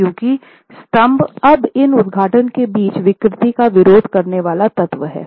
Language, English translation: Hindi, Because the column is now the deformable resisting element between these openings